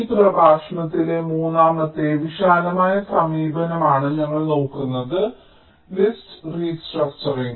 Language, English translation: Malayalam, so we look at the third broad approach in this lecture: netlist restructuring